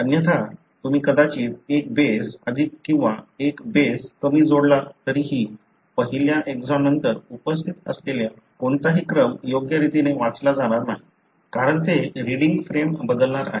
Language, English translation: Marathi, Otherwise you may, even if you add one base more or one base less, then any sequence that is present after the first exon will not be read properly, because it is going to shift the reading frame, it is going to alter the reading frame